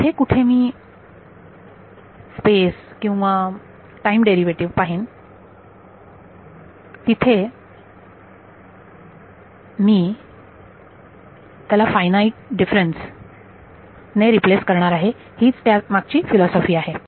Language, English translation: Marathi, E H wherever I see a derivative in space or time I am going to be replace it by a finite difference that is a philosophy